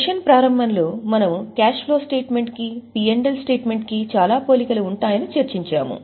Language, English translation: Telugu, In the beginning of the session we had discussed that cash flow has lot of similarities with P&L